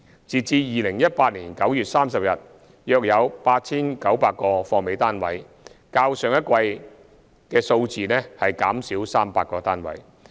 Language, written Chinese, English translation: Cantonese, 截至2018年9月30日，約有 8,900 個"貨尾"單位，較上一季的數字減少300個單位。, As at 30 September 2018 there were about 8 900 unsold first - hand private residential units in completed projects 300 units less than the figure in the last quarter